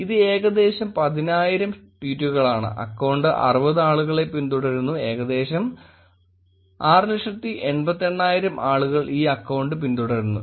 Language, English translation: Malayalam, It is about 10000 tweets, the account is following 60 people and about 688,000 people are actually following this account